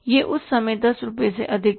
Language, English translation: Hindi, It was more than 10 rupees at that time